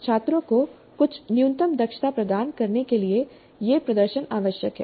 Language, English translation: Hindi, As I mentioned, this exposure is required to provide certain minimal competencies to the students